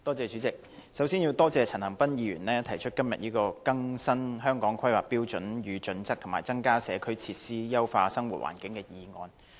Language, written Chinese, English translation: Cantonese, 主席，我首先要多謝陳恒鑌議員今天提出"更新《香港規劃標準與準則》及增加社區設施以優化生活環境"的議案。, President first of all I would like to thank Mr CHAN Han - pan for moving the motion on Updating the Hong Kong Planning Standards and Guidelines and increasing community facilities to enhance living environment today